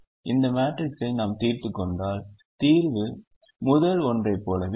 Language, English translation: Tamil, how we solve this matrix, we will see this in the next last class